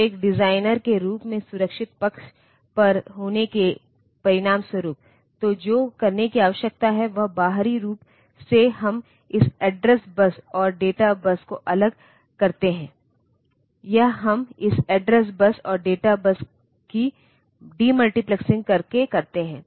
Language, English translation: Hindi, So, as a result to be on the safe side as a designer; so what is required to do is externally we differentiate this address bus and data bus, this this we do demultiplexing of this address bus and data bus